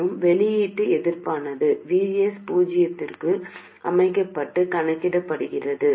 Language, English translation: Tamil, And the output resistance is computed with VS being set to 0